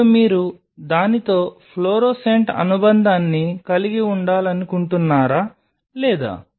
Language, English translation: Telugu, Now whether you wanted to have a fluorescent attachment with it not